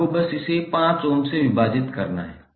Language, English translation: Hindi, You have to simply divide it by 5 ohm